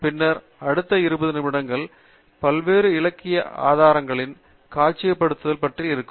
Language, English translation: Tamil, And then, the next twenty minutes roughly will be on actual demonstration of the various literature sources